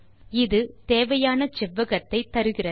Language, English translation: Tamil, This gives us the required rectangle